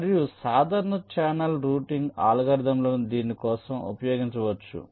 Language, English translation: Telugu, and simple channel routing algorithms can be used for this